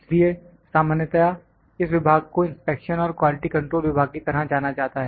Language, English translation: Hindi, So, the department is generally known as inspection and quality control department